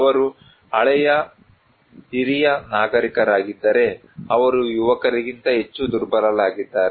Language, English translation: Kannada, If they are old senior citizen, they are more vulnerable than young people